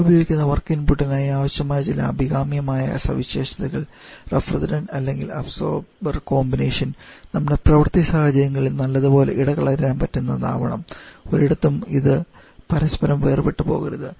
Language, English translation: Malayalam, Some of the desirable properties that we need to for the work fuel that we use or refrigerant or the absorbent combination must have good visibility with each other over the range of working conditions no idea I should get separated from each other